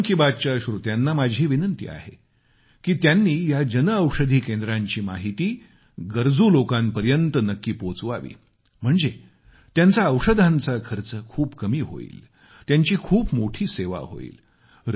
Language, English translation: Marathi, I appeal to the listeners of 'Mann Ki Baat' to provide this information about Jan Anshadhi Kendras to the needy ones it will cut their expense on medicines